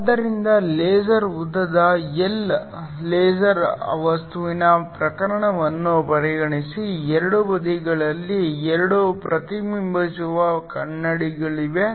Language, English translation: Kannada, So, consider the case of a laser material of length L, there are 2 reflecting mirrors on either sides